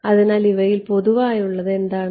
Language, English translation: Malayalam, So, what is common to these guys